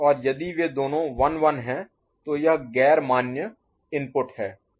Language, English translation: Hindi, And if both of them are 1 1, then it is non enforcing input